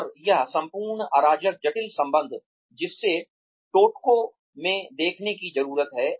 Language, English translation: Hindi, And, this whole chaotic complex relationship, that needs to be seen in toto